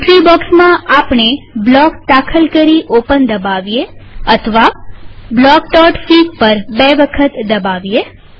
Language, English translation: Gujarati, In the entry box, we can enter block and press open.Or double click on block.fig